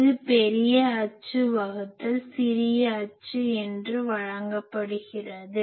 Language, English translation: Tamil, That is given as major axis by minor axis